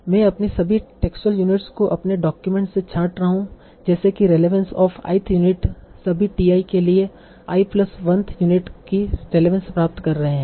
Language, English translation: Hindi, So I am sorting my all the texture units in my documents as that relevance of i yth unit is greater than relevance of i plus one's unit for all t